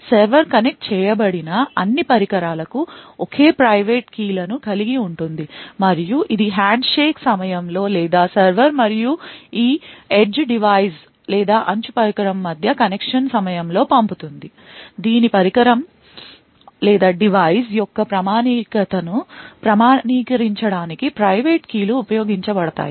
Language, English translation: Telugu, The server would also, have the same private keys for all the devices that is connected to and it would send, during the handshake or during the connection between the server and this edge device, the private keys would be used to authenticate the validity of this device